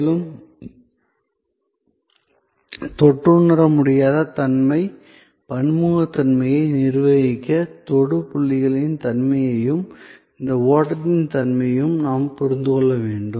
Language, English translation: Tamil, And to manage the intangibility, the heterogeneity, we have to understand the nature of the touch points as well as the nature of this flow